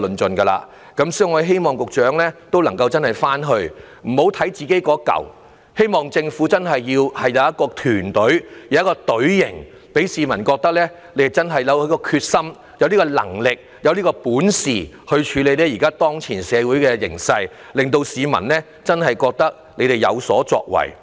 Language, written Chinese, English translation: Cantonese, 所以，我不單希望局長回去要檢視本身的工作，更希望政府真正表現出團隊精神，讓市民覺得政府有決心和能力處理當前的社會形勢，真正覺得政府有所作為。, Therefore I hope the Secretary will not just go back to review his own work I hope all the more that the Government will display genuine team spirit and convince people that it is determined and competent to deal with the current social condition and that it indeed is a good performer